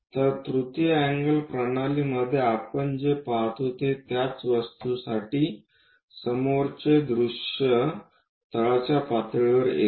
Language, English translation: Marathi, Whereas, in third angle system third angle projection system, what we see is for the same object the front view comes at bottom level